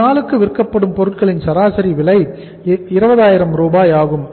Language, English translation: Tamil, Average cost of goods sold per day is 20000